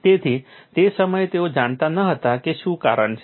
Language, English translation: Gujarati, So, at that time they did know what the reason is